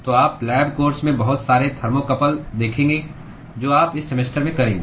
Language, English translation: Hindi, So, you will see lots of thermocouples in the lab course that you will do in this semester